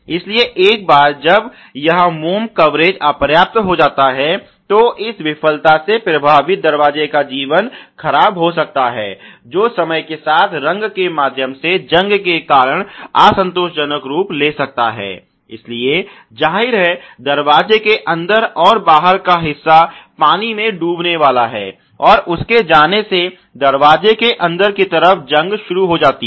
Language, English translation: Hindi, So, once this wax coverage is insufficient, the effects of this failure could be the deteriorated life of the door which can lead to an unsatisfactory appearance due to rust through paint over time, so obviously, there is going to be a sinking of the water with in the door inner and outer and its going start rusting the inner side inside of the door ok